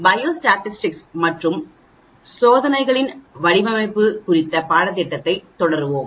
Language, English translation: Tamil, We will continue with the course on Biostatistics and Design of Experiments